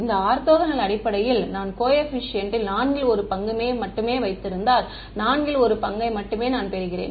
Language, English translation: Tamil, In this orthogonal basis, if I keep only one fourth of the coefficients only one fourth I get this